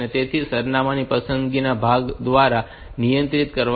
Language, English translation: Gujarati, So, that will be controlled by the address selection part